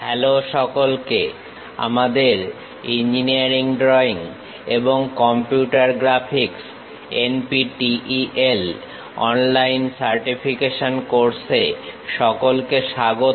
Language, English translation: Bengali, ) Hello everyone, welcome to our NPTEL online certification courses on Engineering Drawing and Computer Graphics